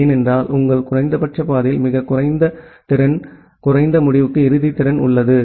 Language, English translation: Tamil, Because it may happen that your minimum path has the a very low capacity, low end to end capacity